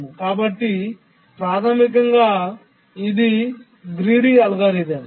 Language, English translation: Telugu, So basically a greedy algorithm